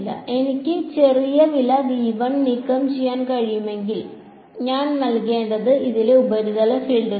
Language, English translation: Malayalam, If I can remove V 1 the small price I have to pay is the surface fields on this